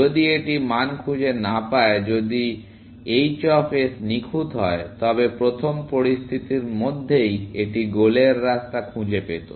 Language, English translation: Bengali, If it does not find the value, if h of s was perfect, then within the first situation itself, it would have found a path to the goal